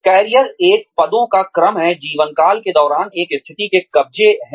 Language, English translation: Hindi, Career is a sequence, of positions, occupied by a position during the course of a lifetime